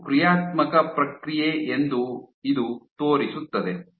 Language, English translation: Kannada, So, this shows that this is a dynamic process